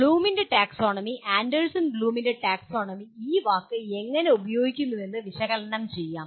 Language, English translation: Malayalam, Now first let us describe how the Bloom’s taxonomy, Anderson Bloom’s taxonomy uses the word analyze